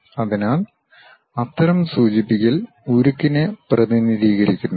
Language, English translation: Malayalam, So, such kind of representation represent steel